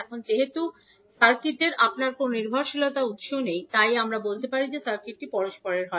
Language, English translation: Bengali, Now since we do not have any dependent source in the circuit, we can say that the circuit is reciprocal so in that case, what we can do